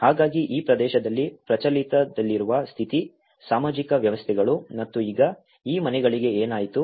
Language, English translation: Kannada, So, this is the condition, social systems which has been prevalent in these areas and now what happened to these houses